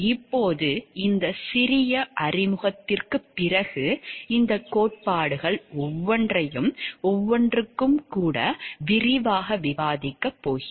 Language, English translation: Tamil, Now, after this short introduction we are going to discuss each of these theories in details with examples given for each